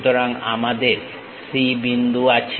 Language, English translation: Bengali, So, we have point C